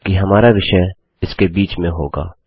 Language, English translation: Hindi, However, our content goes in between here